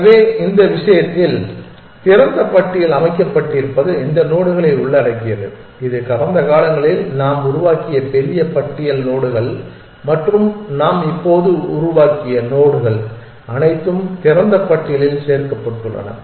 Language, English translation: Tamil, So, in this case the open list is set of includes this nodes it is big list nodes that we have generated sometime in the past and nodes that we have just generated everything is included into the open list